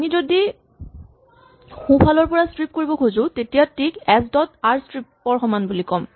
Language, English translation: Assamese, Now, if we want to just strip from the right we say t is equal to s dot rstrip